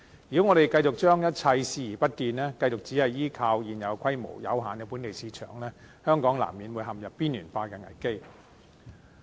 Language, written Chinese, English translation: Cantonese, 如果香港繼續將一切視而不見，繼續只是依靠現有規模、有限的本地市場，香港難免陷入邊緣化的危機。, If Hong Kong keeps ignoring all these and continues to count on its tiny home market at present its marginalization will be unavoidable